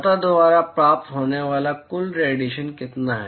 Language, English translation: Hindi, What is the total radiation that is received by the surface